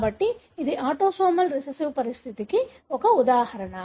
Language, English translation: Telugu, So, that is an example of autosomal recessive condition